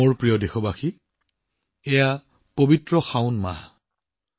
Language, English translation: Assamese, My dear countrymen, at present the holy month of 'Saawan' is going on